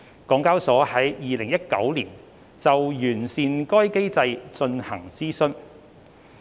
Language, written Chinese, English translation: Cantonese, 港交所在2019年就完善該機制進行諮詢。, HKEx consulted the market on proposals to enhance VCM in 2019